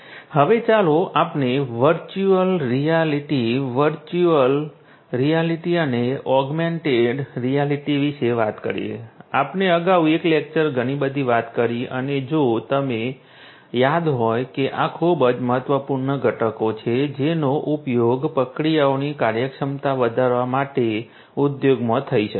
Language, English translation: Gujarati, Now, let us talk about virtual reality, virtual reality and augmented reality we talked about a lot in a separate lecture and if you recall that these are very very important components that could be used in the industry in order to improve the efficiency of the processes to offer training to the workers and so on